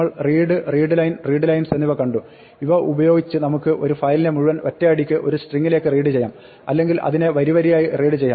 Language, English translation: Malayalam, We saw that read, readline and readlines, using this we can read the entire file in one shot of the string or read it line by line